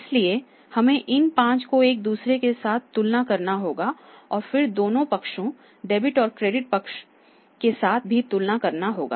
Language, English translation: Hindi, So, we have to compare these 5 with each other and they may be with the two sides dubbed in the credit side